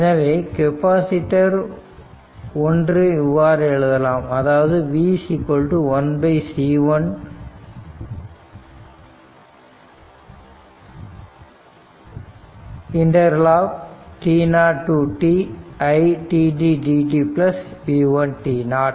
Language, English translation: Tamil, Similarly, for capacitor 2 it is 1 upon C 2 t 0 to t it dt plus v 2 t 0